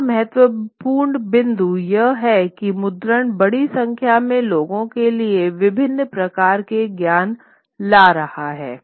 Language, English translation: Hindi, And another important point is that once what is happening is that printing is bringing these various kinds of knowledge to the access of a large and number of people